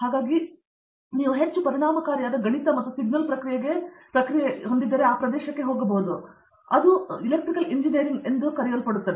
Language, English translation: Kannada, So, there is a large influx of you know highly efficient mathematics and signal processing going in that area, that is in the what we call as a Electrical Engineering